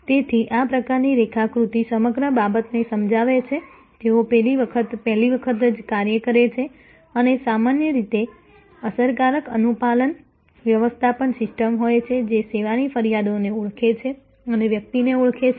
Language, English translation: Gujarati, So, this kind of diagram explains the whole thing, they do the job right the first time and usual have effective compliant handling system identify the service complains and identify the person